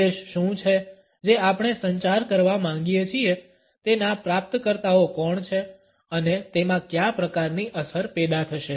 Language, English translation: Gujarati, What exactly is the message which we want to communicate, who are the recipients of it and what type of effect would be generated in them